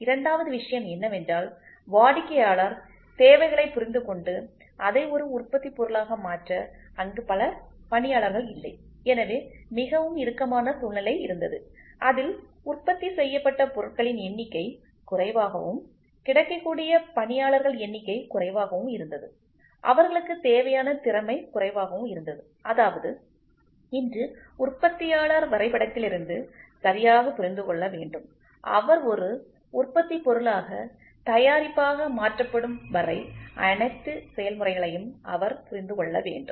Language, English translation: Tamil, And second thing is they were not many artists who were available to understand customer needs and convert it into a product, so there was a very tight situation where in which the number of products produced were less, the number of artesian available was less and the skill what they were requiring; that means, today the manufacturer should understand right from drawing, he has to understand all the process till he gets converted into a product